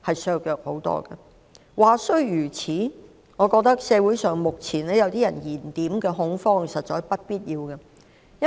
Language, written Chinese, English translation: Cantonese, 儘管如此，我認為目前某些人在社會上製造的恐慌實屬不必要。, Having said that I find the panic currently induced by some people in society really unnecessary